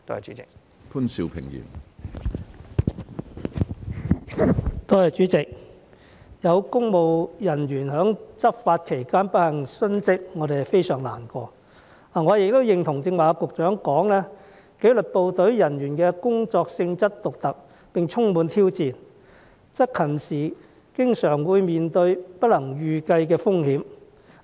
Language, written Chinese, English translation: Cantonese, 主席，有公務人員在執法期間不幸殉職，我們非常難過，我亦認同局長剛才提到紀律部隊人員的工作性質獨特，並充滿挑戰，執勤時經常會面對不能預計的風險。, President we are deeply grieved that some public officers have unfortunately died while discharging law enforcement duties . I also agree with the Secretary that the work of disciplined services officers is unique and challenging by nature and that they are often exposed to unpredictable risks whilst on duty